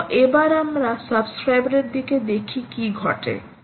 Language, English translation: Bengali, so lets now see what actually happens at the subscribers side